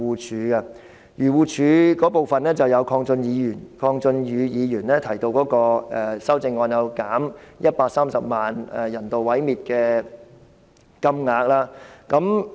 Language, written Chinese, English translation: Cantonese, 針對漁護署開支的，有鄺俊宇議員提出的修正案，即削減130萬元人道毀滅動物的開支。, The amendment concerning AFCD is Mr KWONG Chun - yus amendment which seeks to reduce the 1.3 million expenditure on euthanization of animals